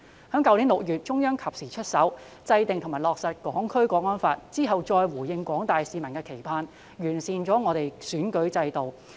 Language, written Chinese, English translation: Cantonese, 去年6月，中央及時出手制定及落實《香港國安法》，之後再完善選舉制度以回應廣大市民的期盼。, In last June the Central Authorities stepped in and took timely action to enact and implement the National Security Law which is followed by enhancing the electoral system to respond to the expectation of the general public